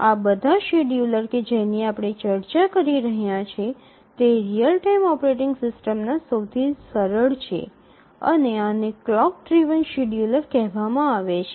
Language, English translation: Gujarati, So, all these schedulers that we are looking at are at the simplest end of the real time operating systems and these are called the clock driven schedulers